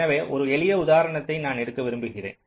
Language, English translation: Tamil, so i will like just take a simple example